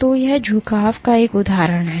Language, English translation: Hindi, So, this is an example of bending